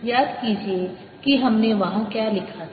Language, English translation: Hindi, recall what did we write there